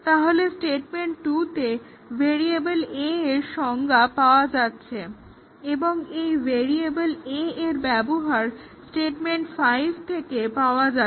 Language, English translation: Bengali, So, definition of variable a, occur in statement 2 and the variable a is used in statement 5